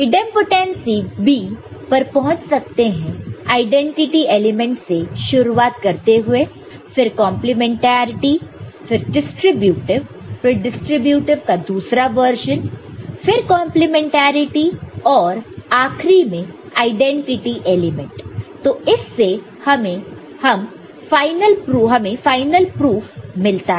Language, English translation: Hindi, Similarly, Idempotency also you can arrive at, starting with using the identity element then the complementarity, ok – then, distributive the other version of the distributive one, and the complementarity and then finally, the identity element we can get the all the final proof of this